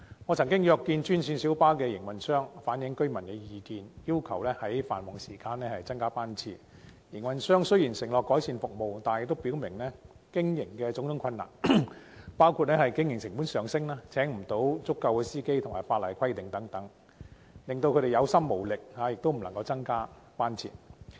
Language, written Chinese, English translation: Cantonese, 我曾經約見專線小巴營運商，反映居民的意見，要求在繁忙時段增加班次，但營運商雖然承諾改善服務，亦表明有種種經營困難，包括經營成本上升、未能聘請足夠司機及法例規限等，令他們感到有心無力，無法增加班次。, I had a meeting with GMB operators to relay residents views on increasing the frequency of GMBs during peak hours . While the operators agreed to improve their services they also mentioned their operational difficulties such as rising operating costs failure in recruiting adequate drivers and restrictions imposed by the law hence their hands were tied and could not increase the service frequency